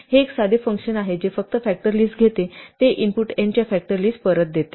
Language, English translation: Marathi, This is a simple function which just takes the list of factors gives back the list of factors of the input n